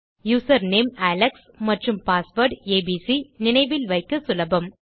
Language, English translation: Tamil, Okay so user name is Alex and password is abc easy to remember